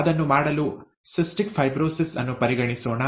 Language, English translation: Kannada, To do that, let us consider cystic fibrosis